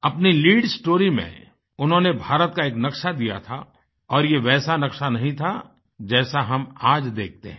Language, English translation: Hindi, In their lead story, they had depicted a map of India; it was nowhere close to what the map looks like now